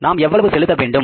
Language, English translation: Tamil, How much we have to pay